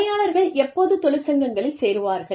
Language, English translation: Tamil, When do employees, join unions